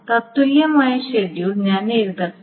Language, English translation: Malayalam, Now this is the equivalent schedule